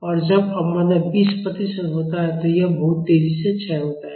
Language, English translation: Hindi, And, when damping is 20 percent it decays much more faster